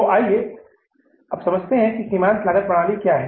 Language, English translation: Hindi, So let's understand what is the definition of the marginal cost